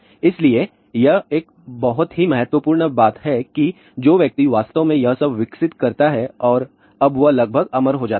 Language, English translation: Hindi, So, that is why it is a very important thing that the the person who really develop all this thing and now he becomes almost immortal